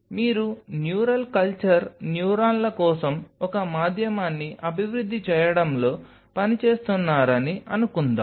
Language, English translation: Telugu, So, that means suppose you are working on developing a medium for neural culture neurons right